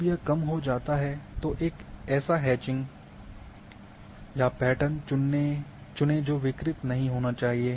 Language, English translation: Hindi, When it is reduced choose a hatching or patterns that should not get disturbed